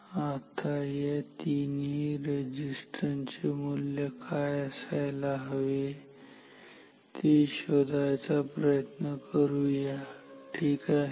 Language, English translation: Marathi, Now, let us find out what should be the values of these three resistances ok